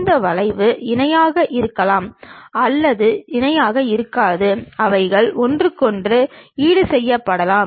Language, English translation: Tamil, These curves might be parallel, may not be parallel; they might be offset with each other also